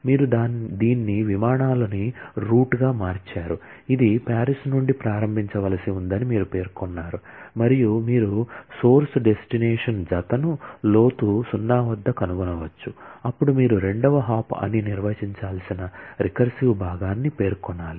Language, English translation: Telugu, So, you have renamed it as flights as route, you are specified that it has to start from Paris and you can find out the source destination pair at depth 0, then you specify the recursive part that is the second hop has to be defined